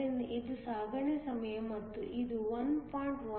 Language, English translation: Kannada, So, this is the transit time and this has a value 1